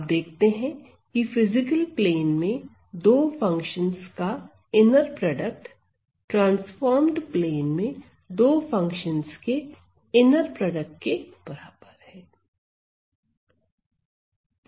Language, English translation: Hindi, So, you see that the inner product or the inner product of the 2 functions in the physical plane, is the inner product of the 2 function in the transformed plane right and they are equal